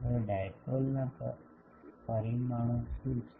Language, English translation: Gujarati, Now what are the parameters of the dipole